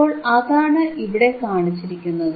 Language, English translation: Malayalam, So, this is what is shown here